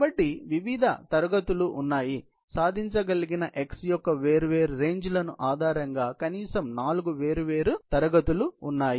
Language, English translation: Telugu, So, there are different classes; there are at least four different classes, based on the different ranges of x, which can be a accomplished